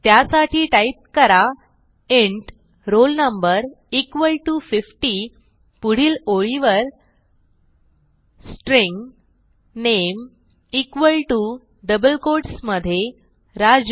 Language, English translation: Marathi, So type,int roll no equal to 50 next line string name equal to within double quotes Raju